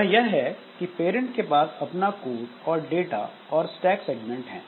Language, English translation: Hindi, Like what has happened is that the parent it has got some code data and stack segments